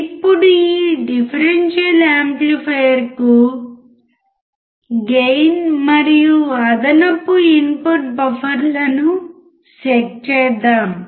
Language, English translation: Telugu, Now to this differential amplifier, set gain and additional input buffers